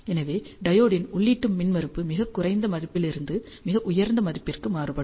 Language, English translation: Tamil, And hence the diodes input impedance actually varies from a very low value to very high value